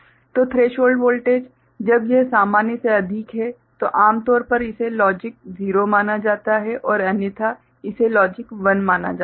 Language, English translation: Hindi, So, threshold voltage when it is higher than normal usually considered as logic 0 and otherwise it is considered as a logic 1 right